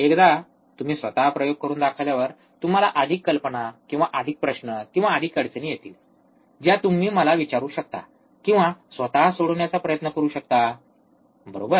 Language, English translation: Marathi, Once you perform the experiment by yourself, you will have more idea, or more questions, or more difficulties that you can ask to me, or try to solve by yourself, right